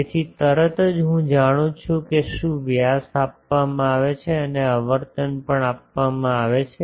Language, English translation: Gujarati, So, immediately I know what is the diameter is given and also the frequency is given